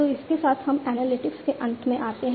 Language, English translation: Hindi, So, with this we come to an end of analytics